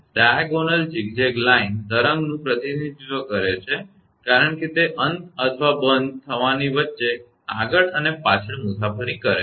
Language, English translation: Gujarati, The diagonal zigzag line represent the wave as it travels back and forth between the ends or discontinuities